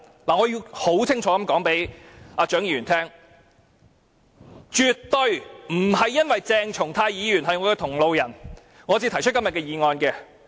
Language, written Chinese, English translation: Cantonese, 我要清楚告訴蔣議員，絕對不是因為鄭松泰議員是我的同路人，我才提出今天這議案。, I need to make it clear to Dr CHIANG that it is absolutely not because Dr CHENG Chung - tai is my comrade that I have proposed this motion today